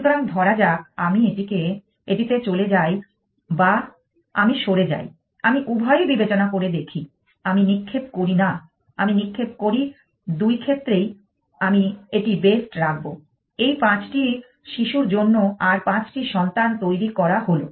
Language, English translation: Bengali, So, let us take say I move to this one or I move I consider both I do not throw I throw either I keep this to best to once generate five children for this five children’s